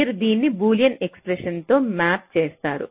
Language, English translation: Telugu, so how you you do it map this into a boolean expression